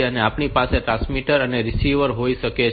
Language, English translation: Gujarati, So, we can have the transmitter and the receiver